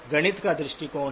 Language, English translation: Hindi, There is a mathematics perspective